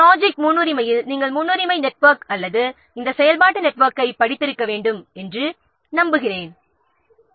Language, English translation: Tamil, I hope in project scheduling you must have studied known precedence network or this activity network